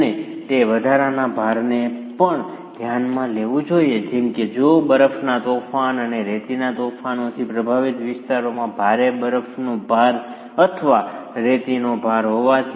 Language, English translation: Gujarati, And it also should consider additional loads like heavy snow loads or sand loads if present in regions that are affected by snowstorms and sandstorms